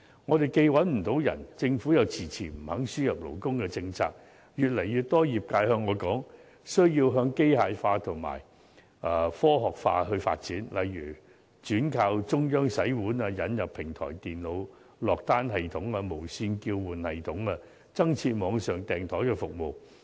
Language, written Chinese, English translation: Cantonese, 我們既找不到人手，政府卻遲遲不肯放寬輸入勞工政策，越來越多業界對我說需要向機械化和科學化發展，例如轉靠中央洗碗、引入平台電腦落單系統、無線叫喚系統、增設網上訂枱服務等。, Faced with manpower shortage and the Governments refusal to relax the labour importation policy more and more restaurants have told me that they need to develop in the direction of mechanization and technology application . For example they need to adopt centralized dishwashing systems introduce automated ordering system and restaurant paging system and set up online booking service etc